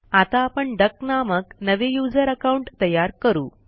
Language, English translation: Marathi, So let us create a new user account named duck